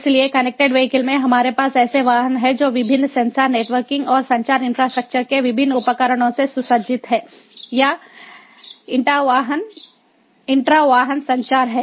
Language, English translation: Hindi, so in connected vehicles we have the vehicles that are equipped with different sensors, networking and communication infrastructure, different devices or by, you know, intra vehicle communication